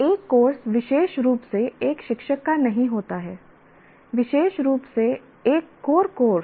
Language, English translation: Hindi, A course doesn't exclusively belong to a teacher, especially a core course